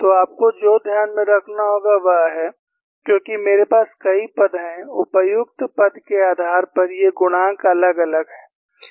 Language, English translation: Hindi, So, what you will have to keep in mind is, as I have several terms, depending on the appropriate conditions, these coefficients differ